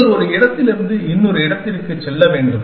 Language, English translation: Tamil, And you have to go from one place to another essentially